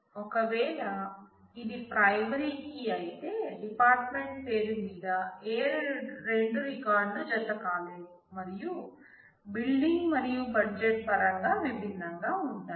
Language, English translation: Telugu, If it is a primary key, then no two records can match on the department name and be different in terms of the building and the budget